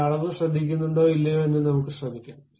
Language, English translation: Malayalam, But let us try whether really the dimension takes care or not